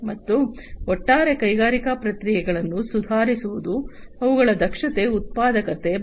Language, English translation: Kannada, And overall improving the industrial processes, their efficiency, productivity, and so on